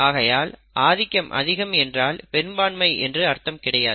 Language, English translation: Tamil, So dominancy dominance does not mean a majority, not always